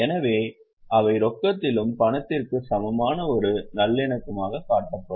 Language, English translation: Tamil, So, they would be shown as a reconciliation in the cash and cash equivalent